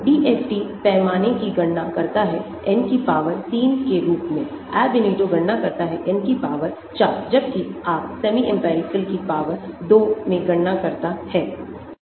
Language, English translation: Hindi, DFT calculates scale as N power 3, Ab initio calculates N power 4, whereas your semi empirical calculates at N power 2